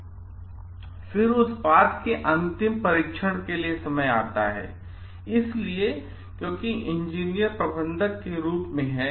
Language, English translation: Hindi, Then comes to the final test of the product; so, because engineers as managers